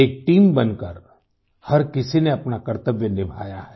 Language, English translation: Hindi, Everyone has done their duty as part of a team